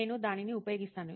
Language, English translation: Telugu, So I use that